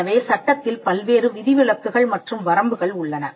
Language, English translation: Tamil, So, that is the reason why we have various exceptions and limitations included in the law